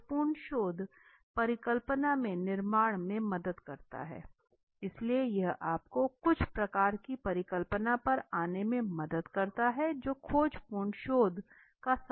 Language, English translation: Hindi, The exploratory research helps in building up of hypothesis right, so it helps to you to come to certain kind of hypothesis right that is the biggest advantages of the exploratory research